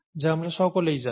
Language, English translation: Bengali, That we all know